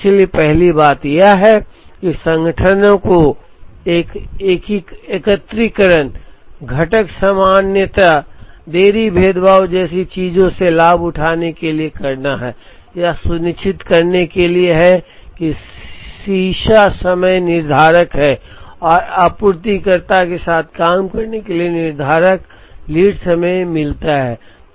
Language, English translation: Hindi, So, the first thing that organizations have to do in order to benefit from things like aggregation, component commonality, delayed differentiation is to ensure that, lead times are deterministic and work with the suppliers to get deterministic lead time